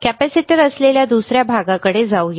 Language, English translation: Marathi, Let us move to the another part which is the capacitor